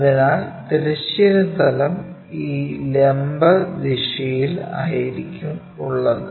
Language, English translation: Malayalam, So, horizontal plane is in this perpendicular direction